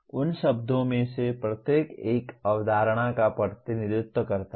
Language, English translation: Hindi, Each one of those words represents a concept